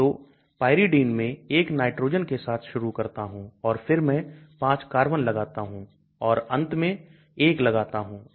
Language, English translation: Hindi, So Pyridine I start with nitrogen 1 then I put 5 carbons and then the last one I put 1